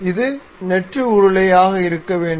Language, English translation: Tamil, It is supposed to be hollow